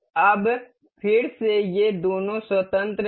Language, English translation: Hindi, Now at again both of these are free